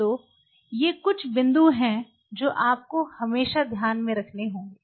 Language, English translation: Hindi, So, these are some of the interesting details which you always have to keep in mind